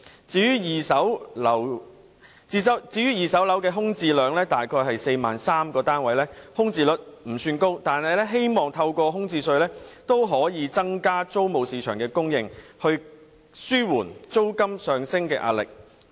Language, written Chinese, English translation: Cantonese, 至於二手樓方面，空置量約為 43,000 個單位，空置率不算高，但我們也希望透過開徵物業空置稅，可以增加租務市場的供應，紓緩租金上升的壓力。, In the secondary property market there are about 43 000 vacant flats . While the vacancy rate of second - hand flats is not high we hope that the introduction of a vacant property tax can increase supply in the rental market thereby easing the upward pressure on rents